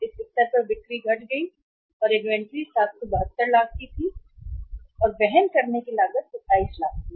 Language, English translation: Hindi, Sales lost at this level of inventory was 772 lakhs and the carrying cost was 27 lakhs